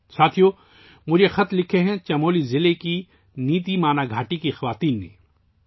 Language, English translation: Urdu, Friends, this letter has been written to me by the women of NitiMana valley in Chamoli district